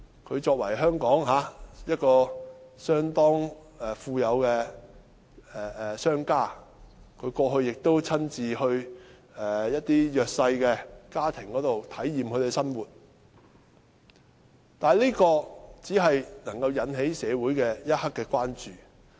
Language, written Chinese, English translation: Cantonese, 他作為在香港相當富有的商家，過去亦曾親身到訪弱勢家庭，並體驗他們的生活，但是，這只能引起社會一刻的關注。, Being a rather wealthy businessman in Hong Kong he has personally visited families of the disadvantaged and experienced their life before but this could only arouse a fleeting moment of concern in society